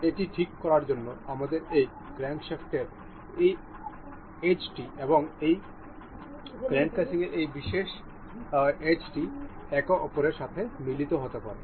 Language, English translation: Bengali, For the fixing this, we need to coincide the this edge of this crankshaft and the this particular edge of the crank casing to coincide with each other